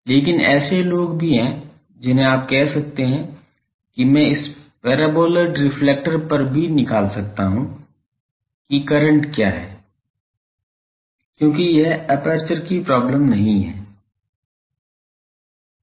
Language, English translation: Hindi, But, there are also people you can say that I can also find out at this paraboloid reflector what is the current because, this is not an aperture problem